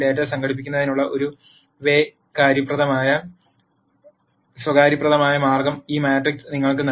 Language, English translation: Malayalam, A matrix provides you a convenient way of organizing this data